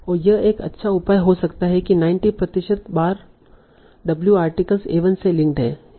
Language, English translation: Hindi, And this can be a good measure to say, OK, 90% of times W links to the article A1